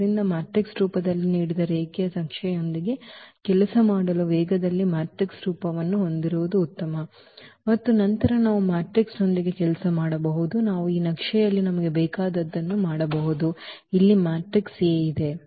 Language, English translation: Kannada, So, in speed of working with linear map which is not given in the in the form of the matrix it is better to have a matrix form and then we can work with the matrix we can do all operations whatever we want on this map with this matrix here A